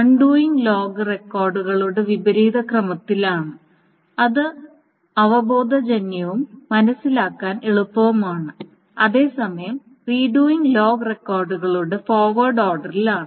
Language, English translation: Malayalam, So undoing is in the reverse order of log records, which is intuitive and easy to understand, while the redoing is in the forward order of log records